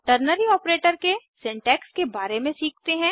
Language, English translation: Hindi, Let us learn about the syntax of Ternary Operator